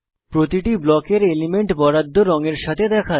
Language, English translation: Bengali, Elements of each Block appear with alloted block color